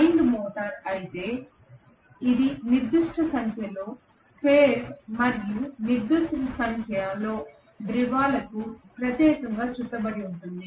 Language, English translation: Telugu, Whereas wound rotor, it is wound specifically for a particular number of phases and particular number of poles